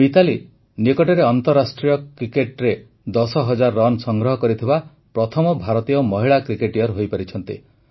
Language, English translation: Odia, Recently MitaaliRaaj ji has become the first Indian woman cricketer to have made ten thousand runs